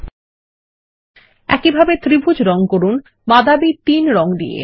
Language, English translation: Bengali, ltPausegt Lets color the triangle brown 3 in the same way